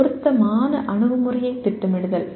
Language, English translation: Tamil, Planning an appropriate approach